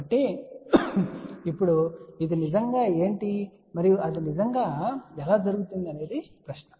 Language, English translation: Telugu, So, now the question is what really this is and how that really happens